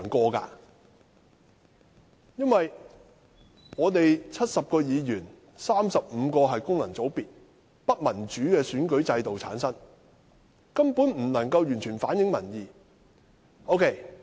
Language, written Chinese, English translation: Cantonese, 在立法會70名議員中 ，35 名議員來自功能界別，由不民主的選舉制度產生，根本不能夠完全反映民意。, Among the 70 Members of the Legislative Council 35 of them are returned from the functional constituencies through undemocratic elections . They simply cannot fully reflect public opinion